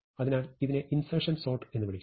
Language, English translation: Malayalam, So, this is called insertion sort